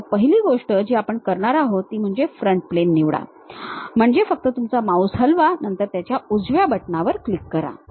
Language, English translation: Marathi, So, first thing what we are going to do is pick the front plane; pick means just move your mouse, then give a right click of that button